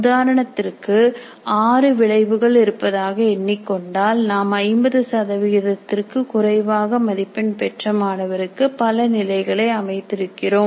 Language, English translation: Tamil, So assuming that there are 6 outcomes, we are setting different target levels of the percentage of students getting less than 50 marks